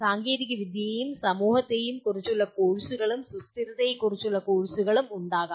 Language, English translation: Malayalam, Also courses on technology and society and there can be course on sustainability